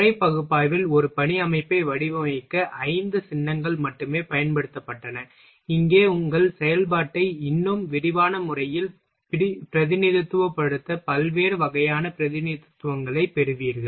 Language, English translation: Tamil, Because in method analysis there were only five symbols which were used to design a work system, here you will get variety of representation to represent your operation in a more elaborate way